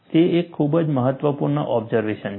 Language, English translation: Gujarati, That is a very important observation